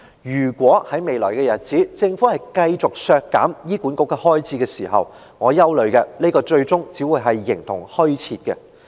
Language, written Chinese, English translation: Cantonese, 如果在未來日子，政府繼續削減醫管局的開支，我憂慮的是，這個中心最終只會形同虛設。, My worry is that if the Government continues to slash the funding for HA in the future this centre will end up being an empty shell